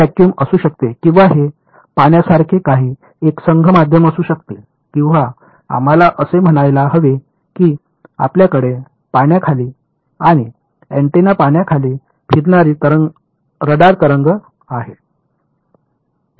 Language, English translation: Marathi, It may vacuum or it may be some homogeneous medium like water or something let us say you have a radar wave travelling under water and antenna under water